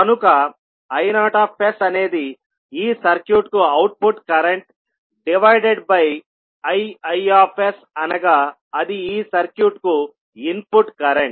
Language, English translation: Telugu, So, I naught s is the output current of this circuit divided by this I s that is input current for the circuit